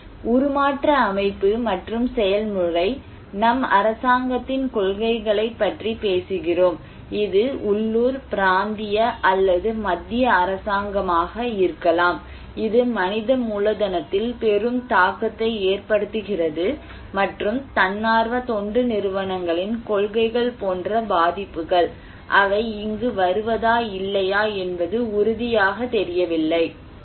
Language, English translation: Tamil, So, transformation structure and process, we call the policies, policies of the government, it could be local, regional or central government that has a great impact on human capital and vulnerabilities like policies of the NGOs, they will come here or not